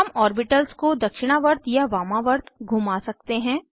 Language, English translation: Hindi, We can rotate the orbitals clockwise or anticlockwise